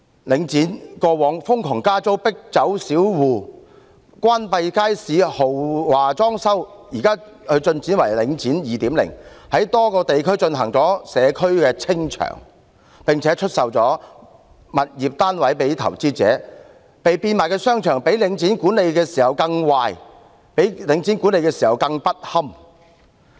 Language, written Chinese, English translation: Cantonese, 領展過往瘋狂加租，迫走小戶，關閉街市，豪華裝修，現在更進化為"領展 2.0"， 在多個地區進行"社區清場"，並出售物業單位予投資者，被變賣的商場的管理較由領展管理時更壞和更不堪。, In the past Link REIT imposed outrageous rent increases drove small commercial tenants away closed down markets to carry out plush renovations and now it has evolved into Link REIT 2.0 and is undertaking clearance operations by selling properties and units in a number of local areas to investors . The management of the shopping arcades thus sold is even worse and more deplorable than that under Link REIT